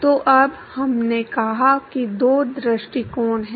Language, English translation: Hindi, So now we said there are two approaches